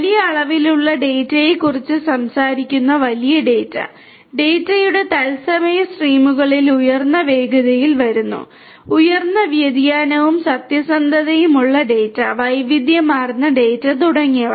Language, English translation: Malayalam, Big data we are talking about data coming in huge volumes, coming in you know high velocities in real time streams of data; data of which have high variability and veracity, variety of data and so on